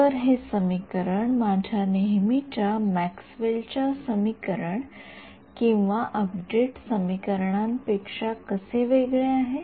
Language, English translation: Marathi, So, how does this equation differ from my usual Maxwell’s equations or update equations